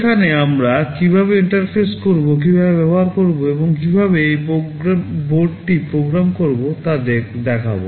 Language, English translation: Bengali, There we shall show how to interface, how to use, and how to program this board